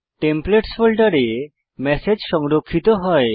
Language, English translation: Bengali, The message is saved in the folder